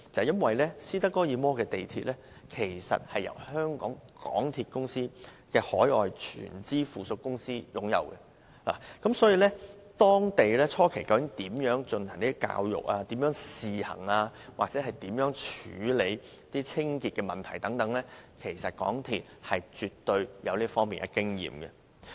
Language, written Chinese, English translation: Cantonese, 因為斯德哥爾摩的地鐵由香港鐵路有限公司海外全資附屬公司擁有，當地初期如何進行公眾教育、如何試行或如何處理清潔等問題，其實港鐵公司絕對有這方面的經驗。, That is because the Stockholm Metro is operated by a wholly - owned subsidiary of the MTR Corporation Limited MTRCL and hence MTRCL should have plenty of experience in how the Stockholm Metro educated local people at the initial stage how it operated on a trial basis and how it handled the hygiene problems